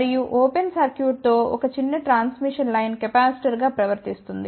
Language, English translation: Telugu, And a small transmission line with an open circuit behaves as a capacitance